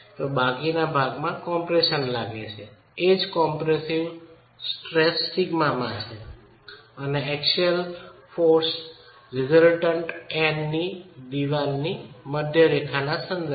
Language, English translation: Gujarati, The rest is in compression, edge compressive stress sigma and the eccentricity of the axial force resultant N is e with respect to the centre line of the wall itself